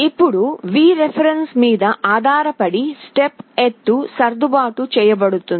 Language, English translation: Telugu, Now, depending on Vref, the step height will be adjusted